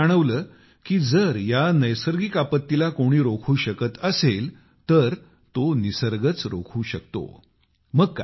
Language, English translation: Marathi, Bijoyji felt that if anything can stop this environmental devatation, theonly thing that can stop it, it is only nature